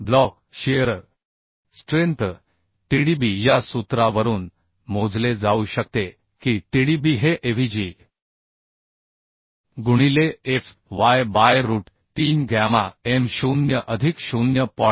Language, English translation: Marathi, 4 The block shear strength Tdb can be calculated from this formula that is Tdb is equal to Avg into fy by root 3 gamma m0 plus 0